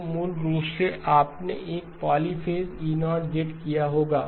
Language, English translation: Hindi, So basically you would have done a polyphase E0